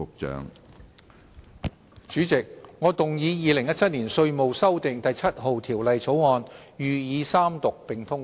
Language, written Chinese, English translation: Cantonese, 主席，我動議《2017年稅務條例草案》予以三讀並通過。, President I move that the Inland Revenue Amendment No . 7 Bill 2017 be read the Third time and do pass